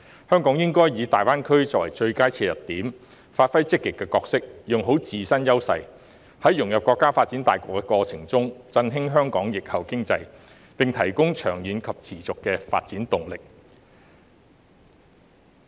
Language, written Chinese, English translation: Cantonese, 香港應該以大灣區作為最佳切入點，扮演積極的角色，發揮自身優勢，在融入國家發展大局的過程中，振興香港疫後經濟，並提供長遠及持續的發展動力。, Hong Kong should take GBA as the best entry point and proactively leverage its advantages to integrate into the overall development of the country so as to revitalize Hong Kongs post - pandemic economy and provide long - term and sustainable development momentum